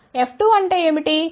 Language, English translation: Telugu, What is F 2